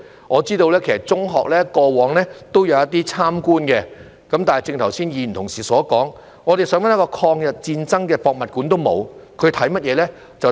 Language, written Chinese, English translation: Cantonese, 我知道中學過往也有一些參觀活動，但正如剛才議員所說，我們想找一個有關抗日戰爭的博物館也沒有，他們參觀甚麼呢？, I know that visits were held by secondary schools in the past but as Members have said earlier we cannot find any museum about the War of Resistance . What did they visit? . It was the Museum of Coastal Defence